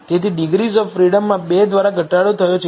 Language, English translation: Gujarati, So, the degrees of freedom reduced by 2